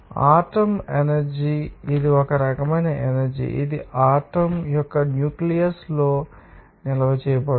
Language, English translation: Telugu, Nuclear energy this is also one type of energy which is being stored in the nucleus of an atom